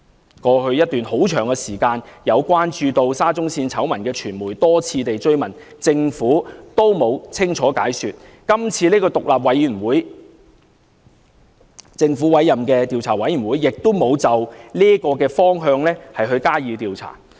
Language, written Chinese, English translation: Cantonese, 在過去一段很長時間，有關注沙中線醜聞的傳媒曾多次追問，政府也沒有清楚解說，今次由政府委任的獨立調查委員會亦沒有循這個方向加以調查。, For a very long time in the past some media which have been keeping a watchful eye on the SCL scandal have repeatedly made enquiries about the issue but no clear explanation has ever been tendered by the Government . The Commission appointed by the Government has not carried out an investigation in this direction either